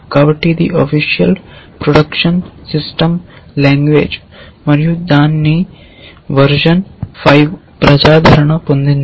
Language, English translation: Telugu, So, it is a official production system language and its version was 5 became popular